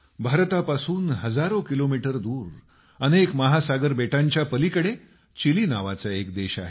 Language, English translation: Marathi, thousands of kilometers from India, across many oceans and continents, lies a country Chile